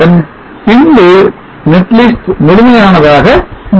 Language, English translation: Tamil, sub then the net list becomes complete